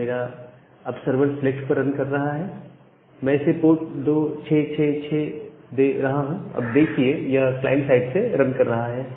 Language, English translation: Hindi, So, now, my server runs over select and giving a port 2666, it is running from the client side